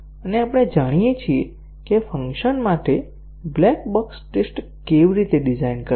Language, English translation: Gujarati, And, we know how to design black box tests for a function